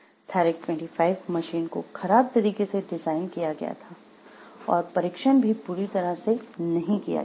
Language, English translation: Hindi, The Therac 25 had been poorly designed and inadequately tested